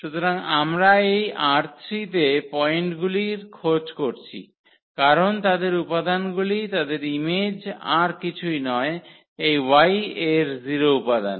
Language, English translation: Bengali, So, we are looking for those points in this R 3 because their element their image is nothing but the 0 element in y